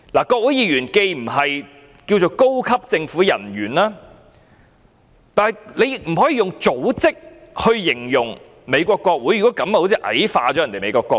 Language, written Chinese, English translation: Cantonese, 國會議員既不能稱為高級政府人員，美國國會也不能以組織來形容，好像矮化了美國國會。, Congressmen are not senior government officials and describing the United States Congress as an organization is belittling it as well